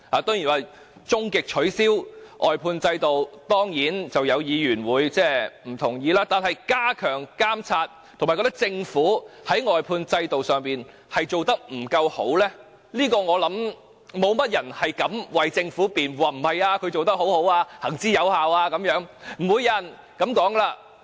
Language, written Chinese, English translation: Cantonese, 對於終極取消外判制度，當然會有議員不同意，但對於加強監察，以及認為政府在外判制度上做得不完善，我相信沒有人敢為政府辯護，說政府做得很好及制度行之有效，不會有人這樣說的了。, As regards the ultimate abolition of the outsourcing system of course some Members will disagree; but as regards strengthening the monitoring and the view that the Government has done poorly with the outsourcing system I believe no one dares defend the Government and say it has done a good job and the system is proven . No one would say that